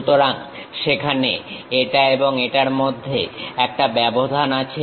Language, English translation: Bengali, So, there is a gap between this one and this one